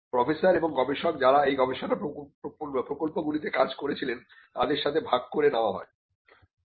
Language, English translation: Bengali, It was required to share it with the professors and the researchers who worked on those research projects